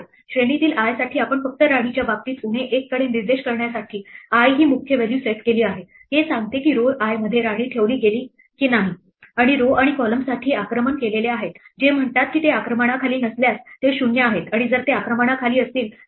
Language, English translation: Marathi, For i in range we just set up the key value i to point to minus 1 in case of queen this says that the queen in row i has not been placed and for row and column these are the attacked ones which says that they are 0 if they are under not under attack and one if they are under attack